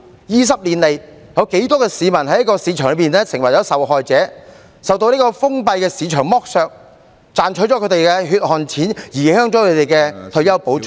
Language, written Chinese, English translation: Cantonese, 二十年來，有多少市民在市場中成為受害者，受到封閉的市場剝削，賺取了他們的血汗錢、影響他們的退休保障......, A period of 20 years has been wasted . During these 20 years how many people have fallen victims to the market have been exploited by a closed market which exploits their hard - earned money and affects their retirement protection